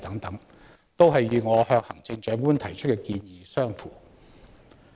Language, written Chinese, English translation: Cantonese, 這些均與我向行政長官提出的建議相符。, These are consistent with the recommendations I made to the Chief Executive